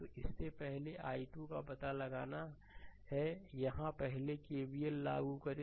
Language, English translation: Hindi, So, in this first you have to find out i 2 so, here you first apply KVL